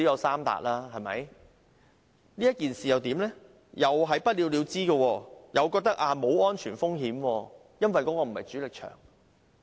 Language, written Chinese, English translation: Cantonese, 是否不了了之，港鐵公司認為沒有安全風險，因為該幅牆並非主力牆？, Will this incident be left unsettled because MTRCL stated that no safety risks were involved as that was not a structural wall?